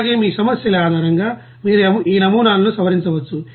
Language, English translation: Telugu, And also, you can modify these models based on your problems